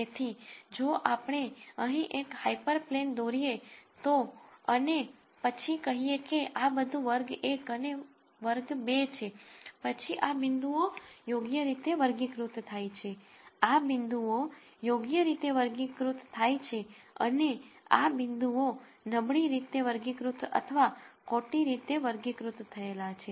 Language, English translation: Gujarati, So, if we were to draw a hyper plane here and then say this is all class 1 and this is class 2 then these points are classified correctly, these points are classified correctly and these points are poorly classified or misclassified